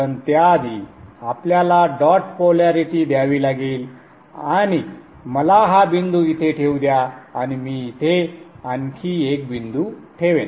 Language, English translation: Marathi, I'll explain to you in a moment but before that we have to give the dot polarities and let me place this dot here and I shall place one more dot here